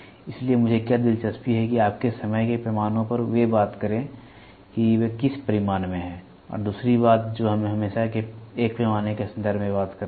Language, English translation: Hindi, So, what I am more interested is what is your time scales they talk about what is the magnitude and second thing we always talk in terms of a scale